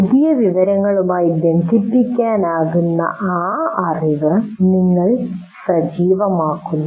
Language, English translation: Malayalam, You activate that knowledge to which the new information can be linked